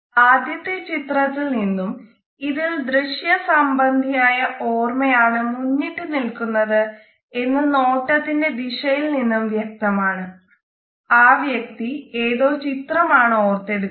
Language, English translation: Malayalam, In the first photograph we find that it is the visual memory which is dominant and this can be found on the basis of this particular direction of a gaze, the person is recalling a picture